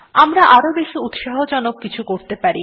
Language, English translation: Bengali, We may do something more interesting